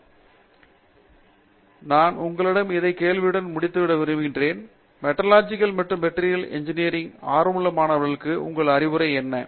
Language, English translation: Tamil, Okay so, I would like to close with this question for you, what would your advice be to an aspiring student in Metallurgical and Materials Engineering